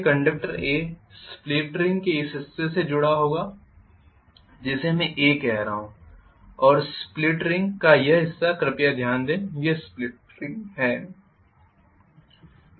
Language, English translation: Hindi, So conductor A will be connected to this portion of this split ring which I am calling as A and this portion of this split ring please note this is split ring